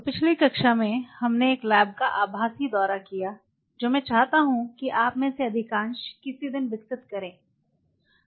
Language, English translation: Hindi, So, in the last class we kind of walked through or virtual lab, which I wish most of you develop something